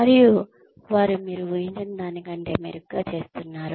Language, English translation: Telugu, And, they are doing better than, you expected them to do